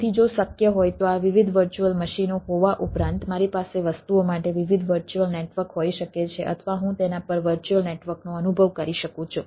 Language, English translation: Gujarati, so if it is possible, then not only this, having this, different virtual machines, i can have different virtual networks for the things, or i can realize a virtual network on that is